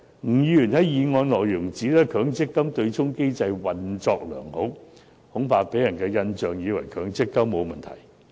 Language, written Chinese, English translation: Cantonese, 吳議員在修正案中指出，強積金對沖機制"運作良好"，恐怕會予人錯誤的印象，以為強積金制度沒有問題。, In his amendment Mr NG claimed that the MPF offsetting mechanism has been functioning effectively leaving people with the wrong impression that the MPF scheme is free of problems